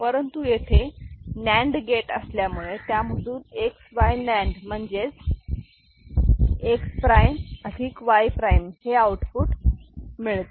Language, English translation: Marathi, But otherwise also we can see that if we have a NAND gate between X and Y we are getting XY NAND which is nothing, but X prime plus Y prime, ok